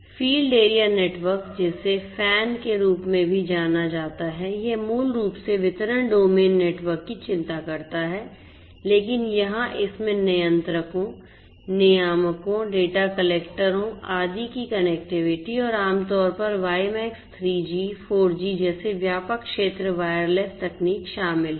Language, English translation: Hindi, Field area network also known as FAN, this basically concerns you know distribution domain networks as well, but here it includes the connectivity of the controllers, the regulators, the data collectors, etcetera and typically wide area wireless technologies such as WiMAX, 3G, 4G, etcetera are used and for wired ethernet is also used